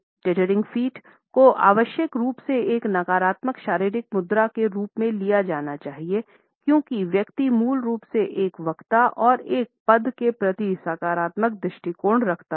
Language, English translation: Hindi, The teetering feet should not be taken up as necessarily a negative body posture because the person basically has a positive attitude towards a speaker, as well as towards a position